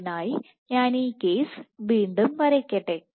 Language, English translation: Malayalam, So, let me redraw this case